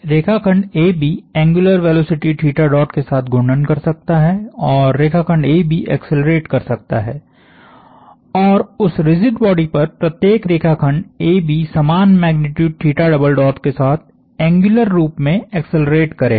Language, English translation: Hindi, The line segment AB can rotate with an angular velocity theta dot and the line segment AB can accelerate and every line segment AB on that rigid body will accelerate in an angular sense with the same magnitude theta double dot